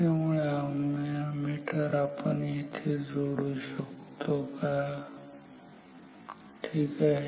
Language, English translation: Marathi, So, can we instead connect the ammeter maybe say here ok